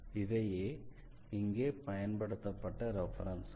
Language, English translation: Tamil, So, these are the references we have used here and